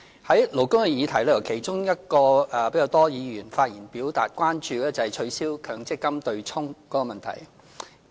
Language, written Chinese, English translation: Cantonese, 在勞工的議題中，其中一個比較多議員發言表達關注的是取消強制性公積金對沖的問題。, Among the labour issues the abolition of the offsetting of Mandatory Provident Fund contributions has attracted concern from more Members